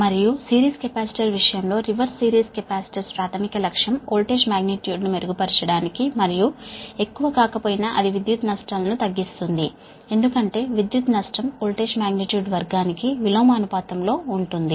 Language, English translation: Telugu, also, and in the case of series capacitor, just reverse, series capacitors, primary objective is to improve the voltage magnitude and, though not much, it reduce the power losses, because power loss is inversely proportional to the square of the voltage magnitude